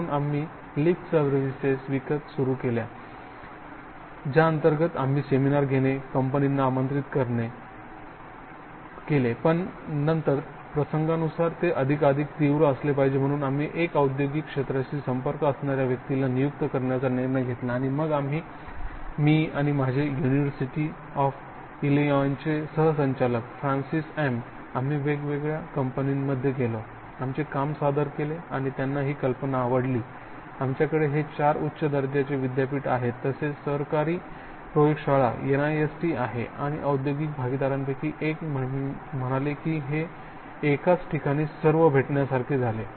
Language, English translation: Marathi, So we paid lip service yes yes and we will organise, seminar and invite industry but then as of incident it has to be much more intense and so we decided to hire an industrial liaison person and then we, myself and my co director he was from University of Illinois Francis M, we went to different industry, presented our work and they like the idea that we have this four top notch University plus the government lab NIST, with us and one of the industrial partner says this is like one stop shopping